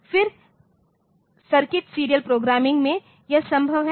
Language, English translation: Hindi, Then in circuit serial programming so, that is possible